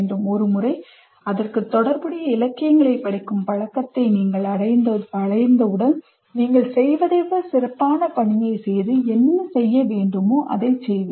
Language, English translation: Tamil, Once you get into the habit of reading, literature related to that, you will be able to do much better job of what you would be doing, what you need to do